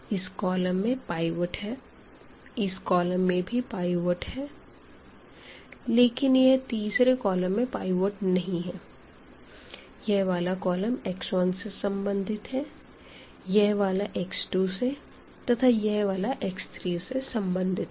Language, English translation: Hindi, So, this column has the pivot this column has a pivot the third column does not have a pivot and as I said this we say this corresponding to x 1, this is corresponding to x 2 and this is corresponding to x 3